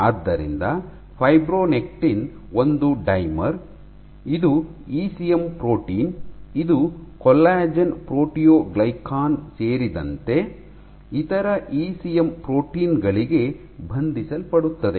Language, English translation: Kannada, So, fibronectin is a dimmer, it is a ECM protein, it binds to other ECM proteins including collagen proteoglycans